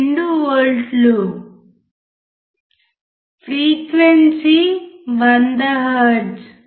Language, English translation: Telugu, 12 volts; right frequency is 100 hertz